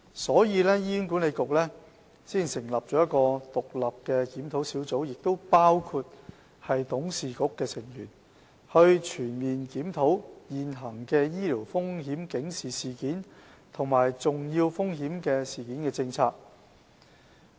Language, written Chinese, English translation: Cantonese, 所以，醫管局才會成立一個獨立的檢討小組，當中包括董事局的成員，以期全面檢討現行的醫療風險警示事件及重要風險事件政策。, For that reason HA has established an independent review panel which comprises HAs board members to conduct a comprehensive review of the current Policy